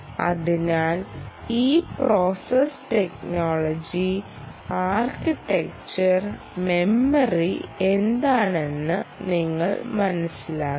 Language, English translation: Malayalam, so you have to understand what this process technology is, the architecture is and memory is